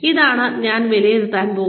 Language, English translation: Malayalam, This is what, I am going to assess